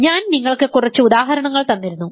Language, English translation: Malayalam, And I gave you a few examples, the most important example was this